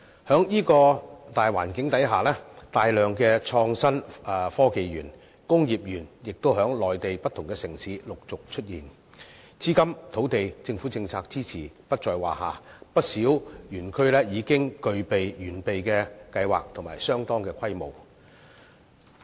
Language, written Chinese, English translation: Cantonese, 在這樣的大環境下，大量的創新科技園和工業園亦在內地不同城市陸續出現，資金、土地、政府政策支持不在話下，不少園區已經具備完備的計劃及相當的規模。, Against this macro background a large number of innovation and technology parks and industrial parks have emerged one after another in various Mainland cities and are needless to say blessed with the support of capital land and government policies and many of these parks have already made comprehensive plans and are operating on quite a large scale